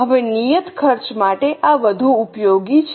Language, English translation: Gujarati, Now, this is more useful for fixed costs